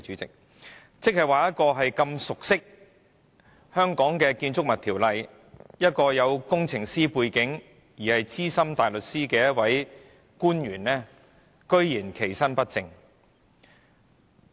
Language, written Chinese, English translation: Cantonese, 這樣一位熟悉本地《建築物條例》、具有工程師背景和身兼資深大律師的官員，居然其身不正。, As an official with engineering background she is familiar with the local Buildings Ordinance and is a Senior Counsel herself so how can she not act in an upright manner?